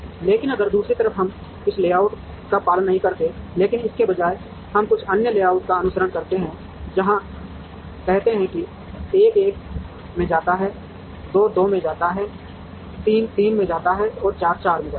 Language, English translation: Hindi, But, if on the other hand, we do not follow this layout, but instead we follow some other layout like this, where say 1 goes to 1, 2 goes to 2, 3 goes to 3 and 4 goes to 4